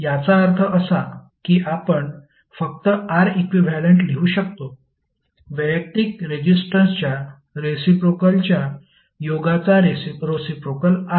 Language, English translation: Marathi, It means that you can simply write R equivalent is nothing but reciprocal of the summation of the reciprocal of individual resistances, right